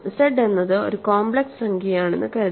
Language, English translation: Malayalam, Remember if z is a complex number